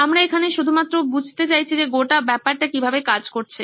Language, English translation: Bengali, We just want to have understanding of how the whole thing works